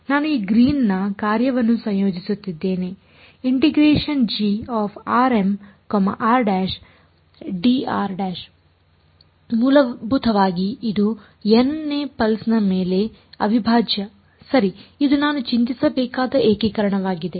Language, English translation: Kannada, I am integrating this Green’s function g r m r prime dr prime essentially this is the integral right over the n th pulse this is the integration that I have to worry about